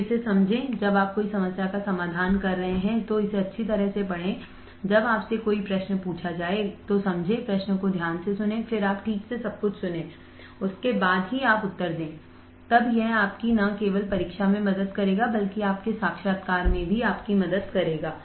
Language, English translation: Hindi, So, understand this when you are doing a problem, read it thoroughly when you are asked a question, understand, listen to the question carefully then you respond alright listen to everything carefully then only you respond, then it will help you not only in your exams that will help you also in your interviews